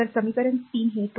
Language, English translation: Marathi, So, equation 3 that is 2